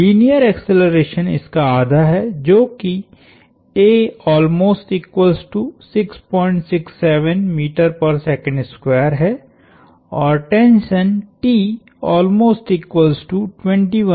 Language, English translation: Hindi, The linear acceleration is half of this, which is 6